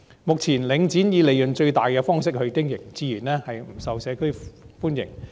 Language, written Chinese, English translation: Cantonese, 目前，領展以利潤最大的方式經營，自然不受社區歡迎。, It is only natural that Link REIT currently operating for maximization of its profits is not welcomed by the community